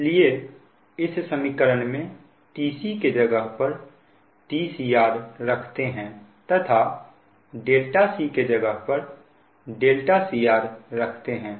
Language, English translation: Hindi, so in this equation, just in place of t c you put t c r and in place of delta c you put delta c r